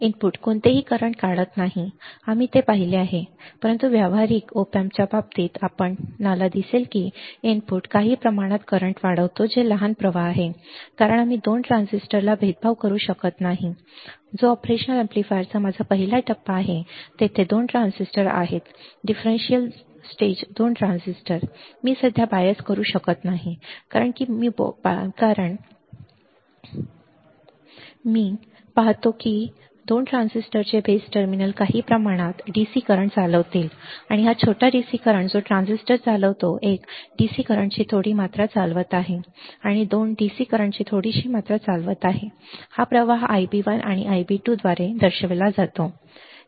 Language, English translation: Marathi, The input draws no current right the input draws no current, we have seen that, but in case of practical op amps you will see that the input draws some amount of current that the small current is because we cannot bias the 2 transistor in the differential stage which is my first stage of the operational amplifier there are 2 transistor in differential stage the 2 transistors, I cannot bias currently because I cannot bias correctly, what I see is that the base terminal of the 2 transistors will conduct some amount of DC current and this small DC current that it conducts the transistor one is conducting small amount of DC current and 2 is conducting some small amount of DC current this current is denoted by I b 1 and I b 2, I b 1 and I b 2, all right, I b 1 and I b 2